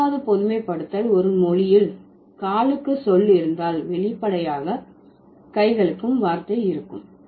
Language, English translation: Tamil, The fourth generalization is, if a language has a word for food, then it also has a word for hand